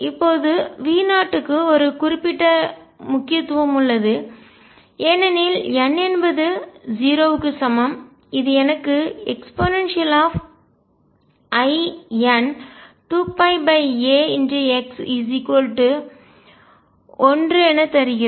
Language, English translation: Tamil, Now V 0 has a particular significance because n equals 0 gives me e raise to i and 2 pi over a x to be equal to 1